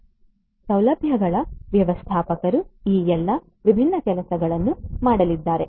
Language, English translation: Kannada, So, facilities manager is going to do all of these different things